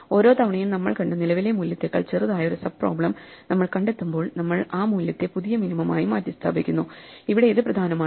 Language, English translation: Malayalam, So every time, we find a sub problem which is smaller than the current value that we have seen then we replace that value as the new minimum, so that is all that is important here